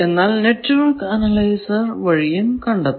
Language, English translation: Malayalam, So, this is about network analyzer